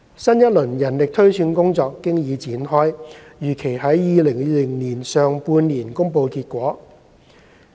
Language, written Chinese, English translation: Cantonese, 新一輪人力推算工作經已展開，預期於2020年上半年公布結果。, A new round of manpower projection exercise has already commenced and the results are expected to be published in the first half of 2020